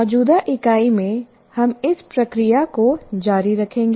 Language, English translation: Hindi, Now in the present unit, we'll continue with the process